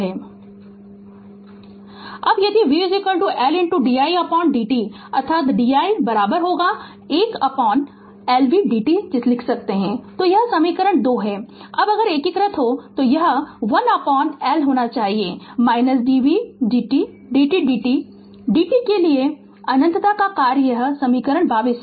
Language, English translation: Hindi, Now, if v is equal to L into di by dt that means we can write di is equal to 1 upon L v dt this is equation 21; now if we integrate then I should be is equal to 1 upon L then minus infinity to t v dt v t dt right v t is function of t this is equation 22